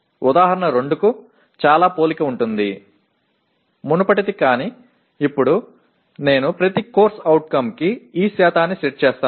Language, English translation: Telugu, Very similar to example 2; that the previous one but now I set these percentages for each CO